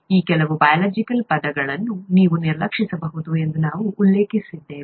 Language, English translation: Kannada, We had mentioned that you could ignore some of these biological terms